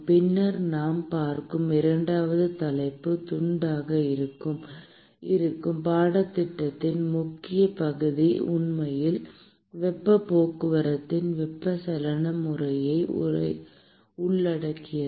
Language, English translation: Tamil, And then the second topic that we will look at which will be the chunk major chunk of the course will actually involve convective mode of heat transport